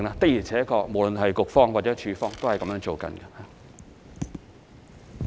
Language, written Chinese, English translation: Cantonese, 的而且確，無論是局方或署方，都是這樣處理的。, Indeed the Bureau and the department are also handling the cases in this manner